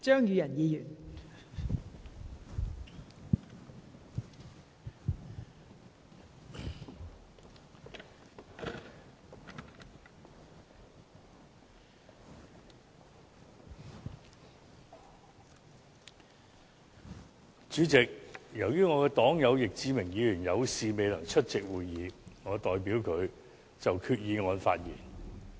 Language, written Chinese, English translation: Cantonese, 主席，由於我的黨友易志明議員有事未能出席會議，我代他就決議案發言。, President as Mr Frankie YICK my party comrade is unable to attend this meeting due to other business commitment I am speaking on the resolution for him